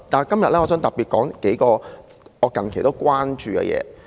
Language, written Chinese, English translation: Cantonese, 今天我想特別談論數項我近期關注的事情。, Today I would like to specifically talk about several issues of my recent concern